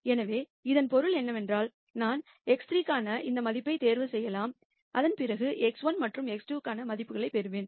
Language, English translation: Tamil, So, basically what this means is that, I can choose any value for x 3 and then corresponding to that I will get values for x 1 and x 2